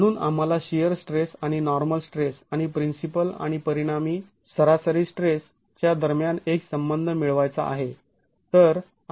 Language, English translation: Marathi, So we want to get a relationship between the shear stress and the normal stress and the principal and the resultant average stresses itself